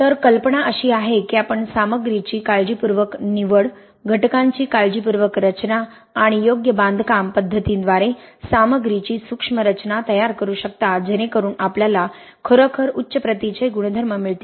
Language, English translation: Marathi, So the idea is that you can tailor the material micro structure through careful selection of materials, careful design of the constituents and proper construction practices to get you really high property